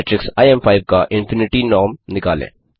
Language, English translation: Hindi, Find out the infinity norm of the matrix im5